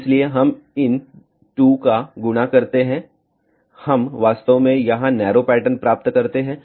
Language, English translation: Hindi, So, we multiply these 2 we actually get a narrower pattern over here